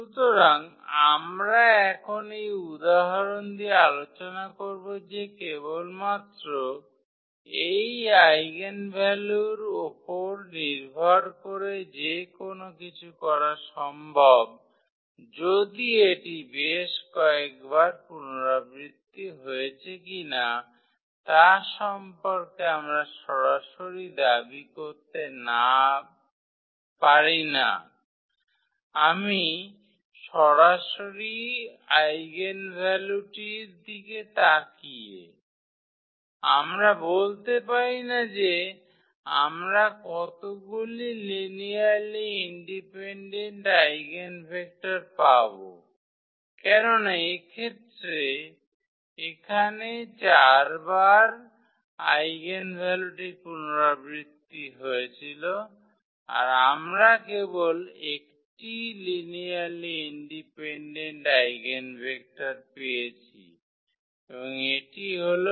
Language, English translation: Bengali, So, what we want to discuss now with this example that that anything is possible just based on this eigenvalue whether it’s repeated several times we cannot claim anything about I mean directly looking at the eigenvalue, we cannot claim that how many linearly independent eigenvectors we will get as this is the case here the eigenvalue was repeated 4 times, but we are getting only 1 linearly independent eigenvector and that is this 1 0 0 in this case